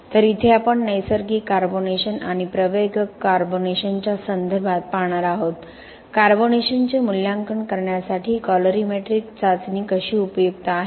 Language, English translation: Marathi, So here we are going to see with respect to natural carbonation and the accelerated carbonation, how the colorimetric test is useful in the assessment of carbonation